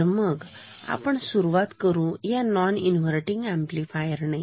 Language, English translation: Marathi, So, let us start with a non inverting amplifier